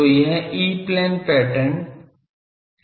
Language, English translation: Hindi, So, this is the E plane pattern